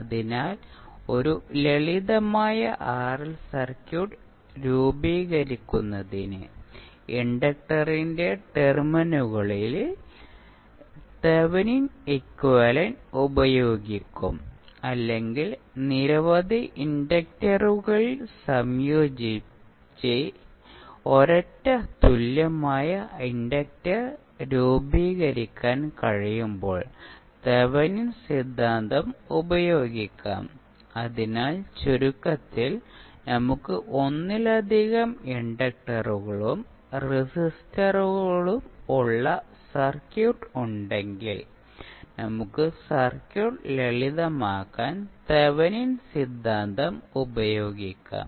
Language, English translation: Malayalam, So, we will use Thevenin equivalent at the terminals of the inductor to form a simple RL circuit or we can use Thevenin theorem when several inductors can be combine to form a single equivalent inductor, so in summery we can say that if we have circuit where we have multiple inductors and resistors we can utilize the Thevenin theorem to simplify the circuit